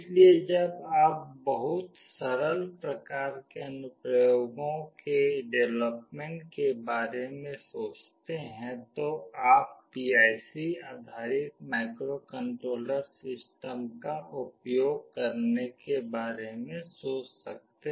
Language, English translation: Hindi, So, when you think of the developing very simple kind of applications, you can think of using PIC based microcontroller systems